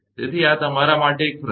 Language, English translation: Gujarati, So, this is a question to you